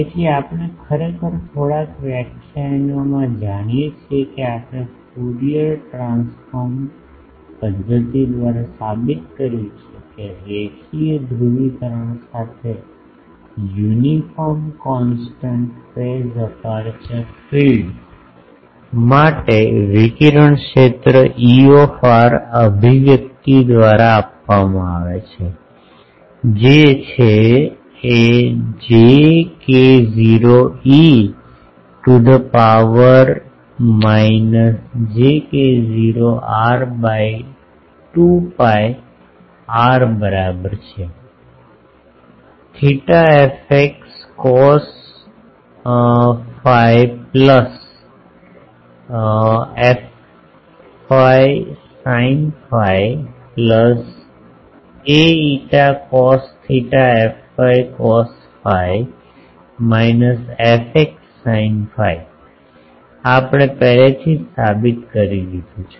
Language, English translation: Gujarati, So, we know actually in few lectures back we have proved by Fourier transform method that for a uniform constant phase aperture field with linear polarisation, the radiated field is given by the expression E r j k not e to the power minus k j not r by 2 pi r; a theta f x cos phi plus f y sin phi plus a phi cos theta f y cos phi minus f x sin phi, this we have already proved